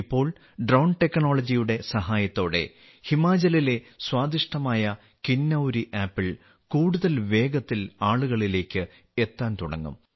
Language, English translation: Malayalam, Now with the help of Drone Technology, delicious Kinnauri apples of Himachal will start reaching people more quickly